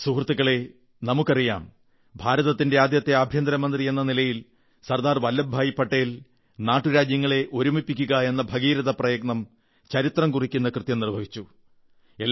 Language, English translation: Malayalam, Friends, all of us know that as India's first home minister, Sardar Patel undertook the colossal, historic task of integrating Princely states